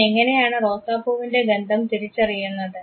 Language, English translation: Malayalam, How does he identify the smell of the rose